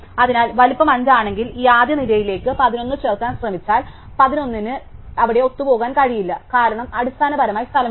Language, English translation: Malayalam, So, if the size is 5, when we know that if it try to insert 11 into this first row, the 11 will not be able to fit there, because there is no space basically